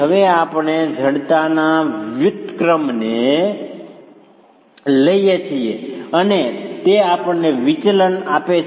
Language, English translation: Gujarati, Now we take the inverse of the stiffness and that gives us the deflections